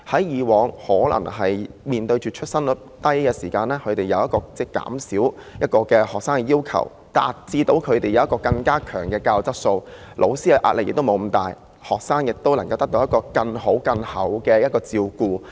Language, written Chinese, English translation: Cantonese, 以往面對出生率低的時候，學校要求減少學生，以達致更高的教育質素，老師既不會壓力這麼大，學生亦能得到更好的照顧。, In the past when we faced the low birth rate schools were requested to cut the number of students for achieving better teaching quality . The teachers would not be so stressful while students could also receive better care